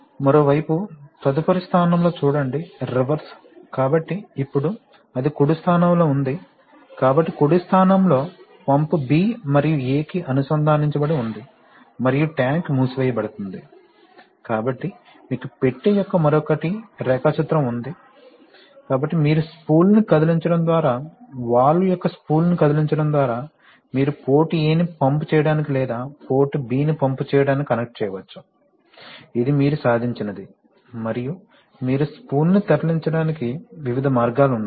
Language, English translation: Telugu, On the other hand in the next position see, just the reverse, so, that is now, it is in the right position, so in the right position, pump is connected to B and A and tank are sealed, so you have the other box of the diagram, so you see that a particular, what have, what have we achieved, that by moving the spool, just by moving the spool of the valve, you can connect either port A to pump or port B to pump, this is what you have achieved and how do you move the spool, there are a variety of ways to move the spool